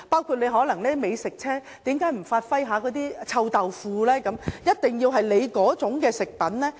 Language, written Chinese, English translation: Cantonese, 為何美食車不能售賣臭豆腐，一定要售賣指定食品？, Why cant food trucks sell fermented bean curd; why must they sell designated food?